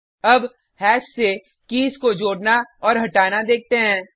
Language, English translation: Hindi, Now let us see add and delete of keys from hash